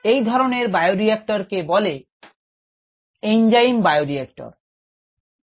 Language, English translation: Bengali, such bioreactors are called enzyme bioreactors